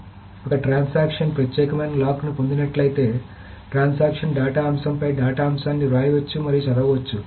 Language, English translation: Telugu, So if a transaction obtains an exclusive lock on a data item, then the transaction can both write and read to the data item